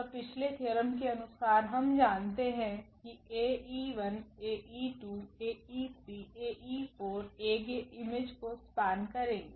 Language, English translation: Hindi, Then as per the previous theorem, we know that Ae 1, Ae 2, Ae 3, Ae 4 will span the image of A